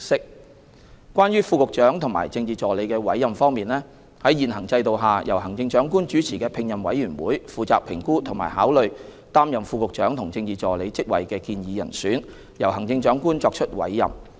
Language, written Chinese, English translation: Cantonese, 三關於副局長和政治助理的委任方面，在現行制度下，由行政長官主持的聘任委員會負責評估和考慮擔任副局長和政治助理職位的建議人選，由行政長官作出委任。, 3 As regards the appointment of Deputy Directors of Bureau and Political Assistants under the existing mechanism an appointment committee chaired by the Chief Executive is responsible for assessing and considering the proposed candidates for the positions of Deputy Directors of Bureau and Political Assistants for appointment by the Chief Executive